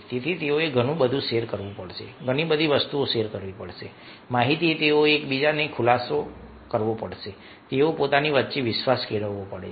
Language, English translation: Gujarati, they have to share the information, they have to sometimes disclose, they have to build trust amongst themselves